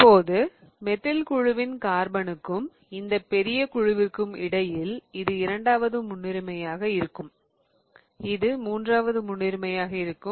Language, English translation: Tamil, Now between the carbon of the methyl group versus this whole bulky group here this is going to be second priority, this is going to be third priority